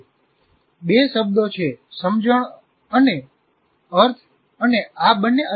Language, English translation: Gujarati, There are two words, sense and meaning